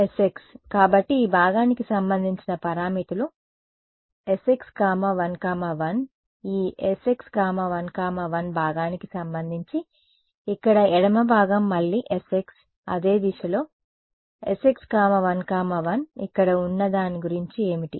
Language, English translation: Telugu, S x right; so, the parameters for this part will be s x 1 1 right make sense what about this part over here the left part again s x same direction s x 1 1 what about this guy over here